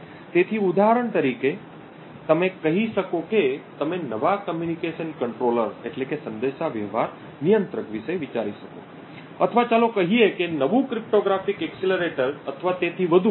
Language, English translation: Gujarati, So, for example you could say you could think of a new communication controller or let us say a new cryptographic accelerator or so on